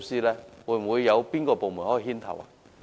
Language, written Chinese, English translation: Cantonese, 請問會否有部門牽頭呢？, Will any department take the lead to do so?